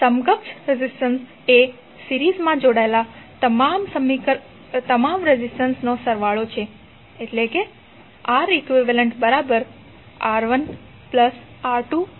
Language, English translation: Gujarati, Equivalent resistance would be summation of all the resistances connected in the series